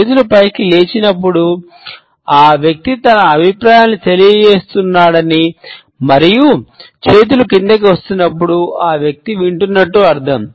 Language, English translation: Telugu, When the hands are steepling up it shows that the person is giving his opinions and when the hands are steepling down, it means that the person is listening